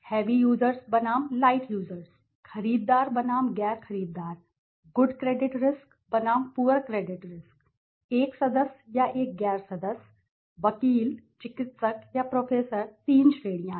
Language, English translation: Hindi, Heavy users versus light users, purchasers versus non purchasers, good credit risk versus poor credit risk, right member is a member or a non member, attorney, physician or professor three categories right